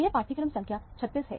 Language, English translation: Hindi, This is module number 36